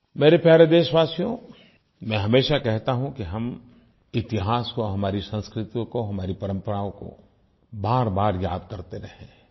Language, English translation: Hindi, My dear countrymen, I maintain time & again that we should keep re visiting the annals of our history, traditions and culture